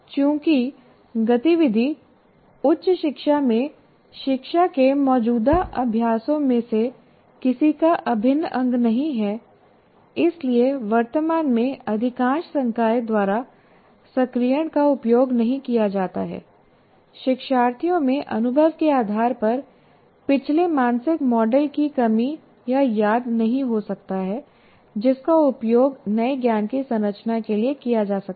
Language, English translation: Hindi, So learners, because that activity is not integral to any of the present practices of instruction in higher education, as activating is not used by majority of the faculty at present, learners lack or may not recall previous mental models based on experience that can be used to structure the new knowledge